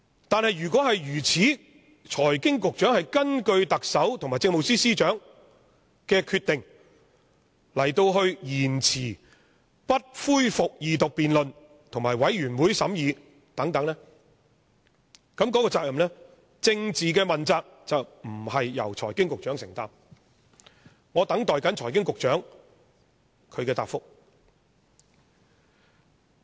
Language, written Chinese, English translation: Cantonese, 但是，如果如此，即財經事務及庫務局局長是根據特首和政務司司長的決定而延遲不恢復二讀辯論和由全體委員會審議等，那麼政治問責便不是由財經事務及庫務局局長承擔。, Yet if it is actually the case that is the Secretary for Financial Services and the Treasury had delayed the tabling of the Bill for resumption of Second Reading and examination by a committee of the whole Council according to the decision of the Chief Executive and the Chief Secretary then the political accountability should not be borne by the Secretary for Financial Services and the Treasury